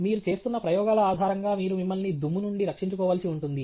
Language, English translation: Telugu, Based on the experiments that you are doing, you may also need to protect yourself from dust